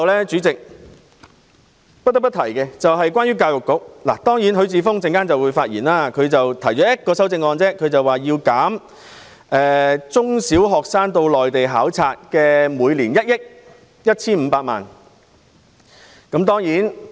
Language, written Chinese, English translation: Cantonese, 主席，最後，關於教育局，許智峯議員只提出了一項修正案，要求削減中小學生參加內地交流計劃的經費1億 1,500 萬元。, Chairman lastly regarding the Education Bureau Mr HUI Chi - fung has only proposed one amendment to reduce the 115 million funding for primary and secondary students to participate in Hong Kong - Mainland Sister School Scheme